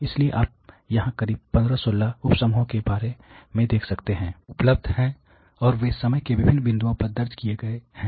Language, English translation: Hindi, So, you can see here there about close to 15, 16 sub groups which are available and they have been recorded at different points of time